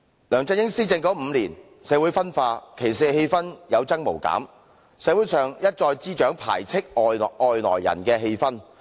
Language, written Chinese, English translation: Cantonese, 梁振英施政5年，社會分化，歧視氣氛有增無減，社會上一再滋長排斥外來人的氣氛。, During the five - year administration led by LEUNG Chun - ying society becomes divided and the discrimination and xenophobic atmospheres thickened